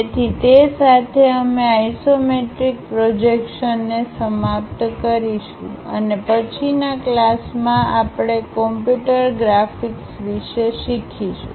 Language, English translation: Gujarati, So, with that we will conclude our isometric projections and in the next class onwards we will learn about computer graphics